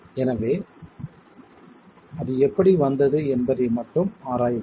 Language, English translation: Tamil, So let's just examine how that is arrived at